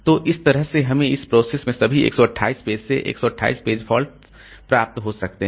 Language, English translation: Hindi, So, this way I can have altogether 128 page faults in this program